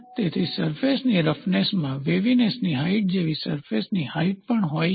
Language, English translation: Gujarati, So, the in a surface roughness, you also like waviness height, you also have surface height